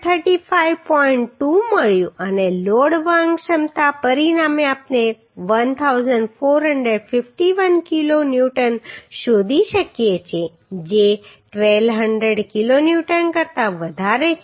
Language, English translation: Gujarati, 2 and the load carrying capacity as a result we can find as 1451 kilo Newton which is greater than 1200 kilo Newton